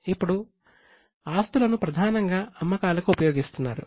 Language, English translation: Telugu, Now the assets are being used mainly for generating sales